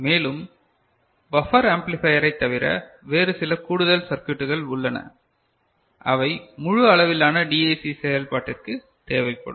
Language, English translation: Tamil, And, there will be other than buffer amplifier there are some other additional circuitry that will be required for a full fledged DAC operation